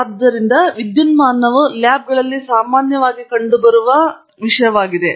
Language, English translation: Kannada, So, electricity is another thing that is commonly present in the labs